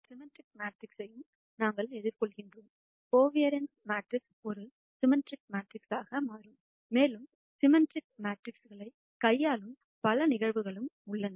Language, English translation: Tamil, We also encounter symmetric matrices, quite a bit in data science for example, the covariance matrix turns out to be a symmetric matrix and there are several other cases where we deal with symmetric matrices